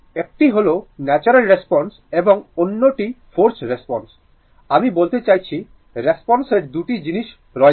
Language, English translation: Bengali, One is natural response and other forced response, I mean the response has two things